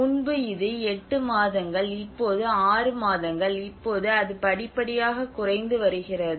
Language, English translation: Tamil, So earlier it was 8 months snow cover, now it is six months, now it is gradually reducing